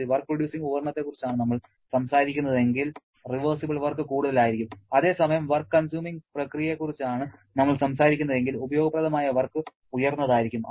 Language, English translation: Malayalam, If we are talking about work consuming process, reversible work will be sorry if we are talking about work producing device, reversible work will be higher correct